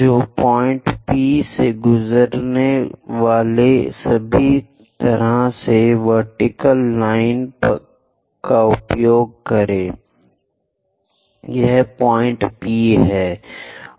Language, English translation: Hindi, So, use vertical line all the way passing through point P, this is the point P